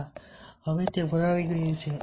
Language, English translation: Gujarati, yes, now it is full